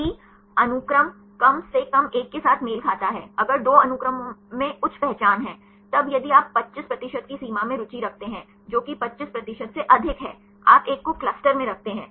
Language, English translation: Hindi, If the sequence matches at least one with the other, if two sequences have high identity; then if you are interested to threshold at 25 percent; which is more than 25 percent, you put one in the clusters